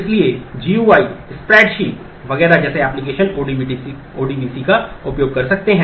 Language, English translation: Hindi, So, applications such as GUI, spreadsheet, etcetera can use ODBC